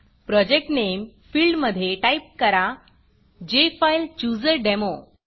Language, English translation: Marathi, In the Project Name field, lets type JFileChooserDemo